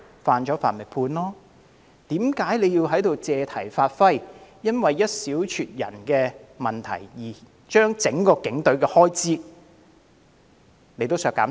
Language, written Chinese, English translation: Cantonese, 犯法就應接受審判，泛民議員為何要在此借題發揮，因為一少撮人的問題，而要求削減整個警隊的全年預算開支？, How come the pan - democratic Members make it an issue and demand cutting the entire budget for the Police owing to the existence of black sheep?